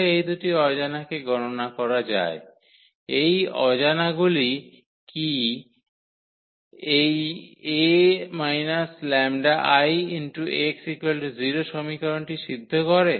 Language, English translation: Bengali, So, how to compute these two unknowns so, that those unknown satisfy this equation A minus lambda I x is equal to 0